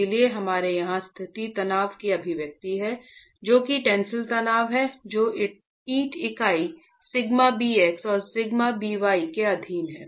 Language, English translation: Hindi, So we have an expression of the local stress here which is the tensile stress that the brick unit is subjected to sigma bx and sigma b y